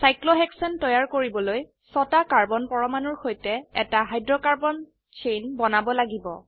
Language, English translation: Assamese, To create cyclohexane, we have to make a hydrocarbon chain of six carbon atoms